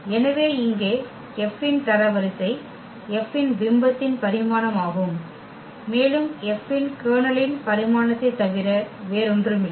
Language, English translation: Tamil, So, here the rank of F is the dimension of the image of F and nullity is nothing but the dimension of the kernel of F